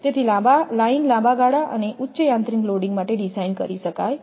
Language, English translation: Gujarati, So, the lines can therefore be designed for longer span and higher mechanical loading